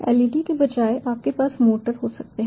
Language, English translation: Hindi, instead of leds you can have motors